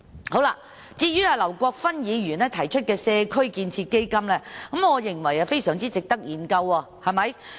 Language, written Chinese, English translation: Cantonese, 至於劉國勳議員提出的"社區建設基金"，我認為非常值得研究。, As regards the community building fund proposed by Mr LAU Kwok - fan I believe it is very much worthy of examination